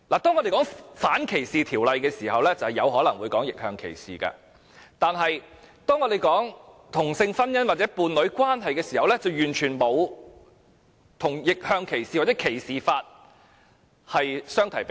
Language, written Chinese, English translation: Cantonese, 當我們談到反歧視條例時，有可能會談及逆向歧視，但當我們討論同性婚姻或伴侶關係時，完全不能與逆向歧視或歧視法相提並論。, We may mention reverse discrimination when we talk about anti - discrimination ordinances but the discussion on same - sex marriage or partnership should not be compared in the same light with reverse discrimination or anti - discrimination legislation